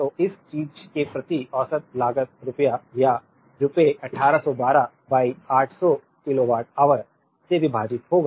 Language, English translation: Hindi, So, average cost per this thing will be rupee or rupees 1812 divided by 800 kilowatt hour